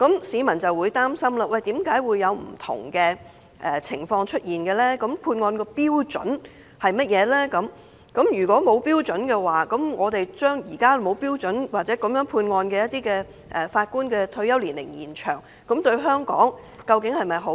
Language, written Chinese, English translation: Cantonese, 市民擔心為何會出現不同的情況，關注判案標準為何，以及一旦將一些判案沒有標準的法官的退休年齡延展，對香港是否有好處。, The public are concerned about the reasons for the disparity in judgment and the sentence standard and they also worry whether or not it is in the interest of Hong Kong if Judges who do not adhere to the standard in passing judgments are also allowed to extend their retirement age